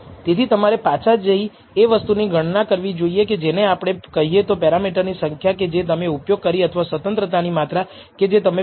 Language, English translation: Gujarati, So, you should go back and account for this what we call the number of parameters you have used or the number of degrees of freedom that is used in estimating the numerator